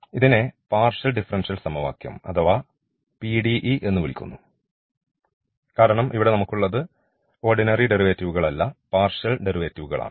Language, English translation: Malayalam, And therefore, this is called the partial differential equation or PDE, because here we the partial derivatives not the ordinary, but we have the partial derivatives, now in the equation